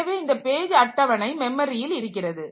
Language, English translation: Tamil, So, this actual page table is in the memory